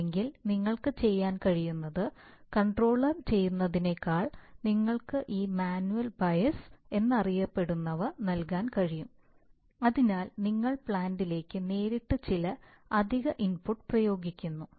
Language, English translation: Malayalam, Or what you could do is apart from what the controller is doing you can give a you can give what is known as this manual bias that is you apply some additional input, right directly to the plant